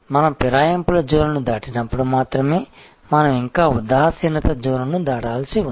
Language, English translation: Telugu, It is only when we have crossed the zone of defection, we are still to cross the zone of indifference